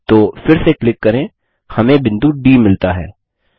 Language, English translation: Hindi, Then click again we get point D